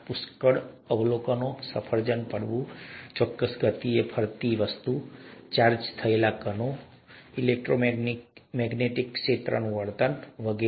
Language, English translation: Gujarati, Lot of observations, apple falling, object moving at a certain speed, behaviour of charged particles and electromagnetic fields, and so on